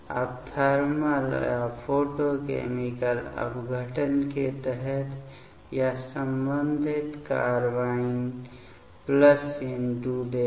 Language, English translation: Hindi, Now, under thermal or photochemical decomposition; this will give the corresponding carbene plus N2